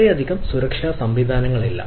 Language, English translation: Malayalam, there are not much security mechanism